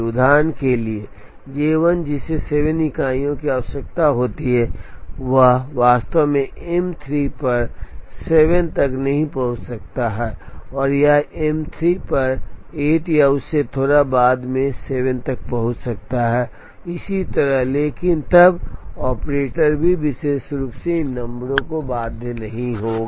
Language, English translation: Hindi, For example, J 1 that requires 7 units of time may not actually reach M 3 at 7, it may reach M 3 at 8 or little later than 7 and so on, but then the operator also will not be very specifically bound by these numbers